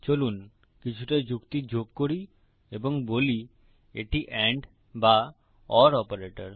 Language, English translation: Bengali, Lets add a bit of logic and say its the and or the horizontal line operator